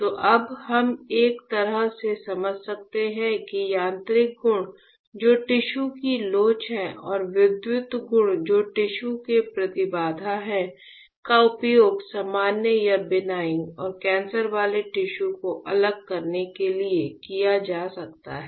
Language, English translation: Hindi, So, now we can in a way we can understand that the mechanical properties which is the elasticity of the tissue and the electrical properties which are the impedance of the tissue can be used for delineating whereas, distinguishing the normal or benign and cancerous tissues